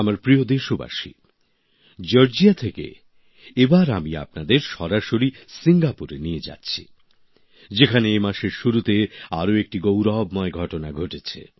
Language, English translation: Bengali, My dear countrymen, let me now take you straight from Georgia to Singapore, where another glorious opportunity arose earlier this month